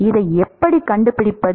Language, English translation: Tamil, How do we find this